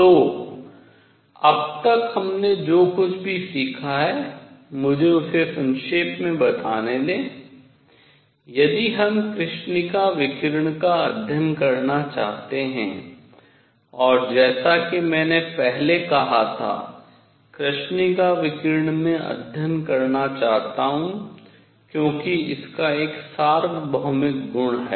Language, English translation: Hindi, So, let me summarize whatever we have learnt so far is that; if we wish to study black body radiation and as I said earlier; black body radiation, I want to study because it has a universal property